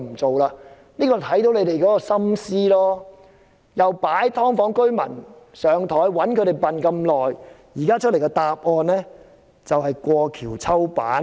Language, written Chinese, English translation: Cantonese, 這裏就看到政府的心思，擺"劏房"居民"上檯"，長期愚弄他們，現時給大家的答案就是"過橋抽板"。, From this we can see that the Government has put residents of subdivided units on the spot and made a fool of them for years . The message given to the public is that the Government burns the bridge after crossing it